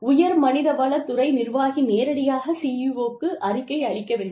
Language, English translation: Tamil, The top HR executive should report, directly to the CEO